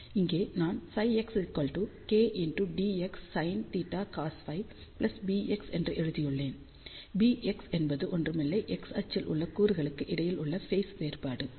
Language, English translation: Tamil, You can see here that I have written psi x is equal to k d x sin theta cos phi plus beta x beta x is nothing, but phase difference between the elements along x axis